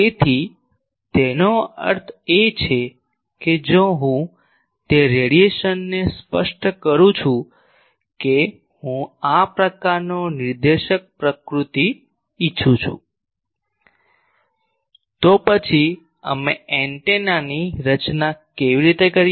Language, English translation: Gujarati, So; that means, if I specify that radiation I want this type of directive nature, then how do we design the antenna